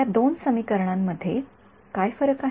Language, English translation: Marathi, What is the difference between these two cases